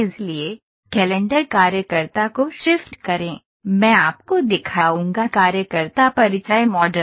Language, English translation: Hindi, So, shift calendar worker I will show you a worker introduction worker introduction model